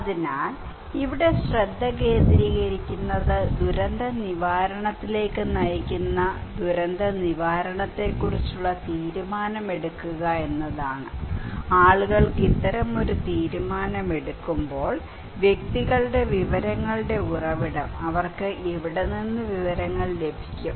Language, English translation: Malayalam, So, the focus here would be that to make the decision about disaster preparedness that would lead to disaster recovery, okay for the people while make this kind of decision, who are the source of information for individuals, from where they get the information okay